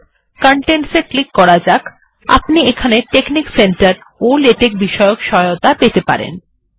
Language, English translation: Bengali, For now lets go to help, click the Contents, can get help on texnic center and latex